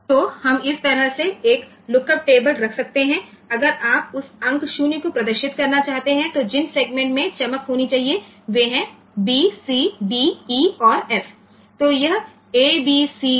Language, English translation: Hindi, So, we can we can have a lookup table like this, this if you want to display that digit 0, then the segments that should glow are a b c d e and f